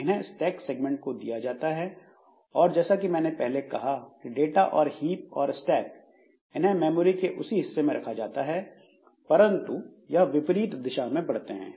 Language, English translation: Hindi, So, they are assigned to the stack segment and as I said that data and this heap and stack so they are allocated on the same portion of memory but they grow in the opposite direction